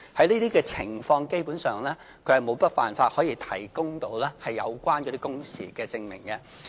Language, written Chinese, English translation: Cantonese, 在這個情況下，基本上他們沒有辦法可以提供有關的工時證明。, There is basically no way for them to provide proof of their working hours